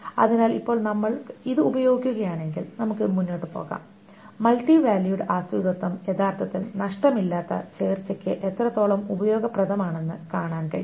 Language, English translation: Malayalam, So now if we use this then we can move ahead and see how multivalued dependency is actually useful for a lossless join